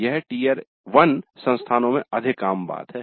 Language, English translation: Hindi, This is more common in Tyre 1 institutes